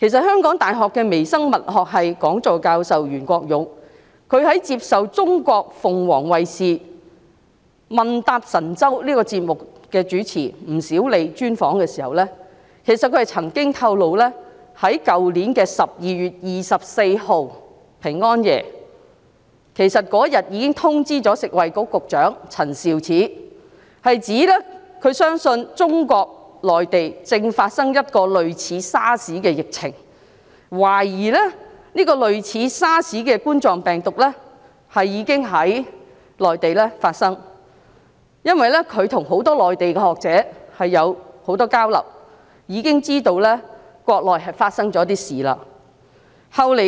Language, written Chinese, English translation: Cantonese, 香港大學微生物學系講座教授袁國勇接受鳳凰衞視"問答神州"節目主持吳小莉專訪時曾經透露，他去年12月24日已經通知食物及衞生局局長陳肇始，他相信中國內地正發生一次類似 SARS 的疫情，懷疑這種類似 SARS 的冠狀病毒已經在內地發生，因為他和很多內地學者交流頻繁，知道國內正發生一些事情。, When interviewed by Sally WU the host of Phoenix TVs programme Mainland QA YUEN Kwok - yung Chair Professor of the Department of Microbiology of the University of Hong Kong revealed that he notified Secretary for Food and Health Prof Sophia CHAN on 24 December last year saying that he believed there was an outbreak of SARS - like epidemic in the Mainland China and he suspected that a SARS - like coronavirus was affecting the Mainland . He made such remarks because he had a lot of exchanges with many scholars in the Mainland and knew that something was happening in the Mainland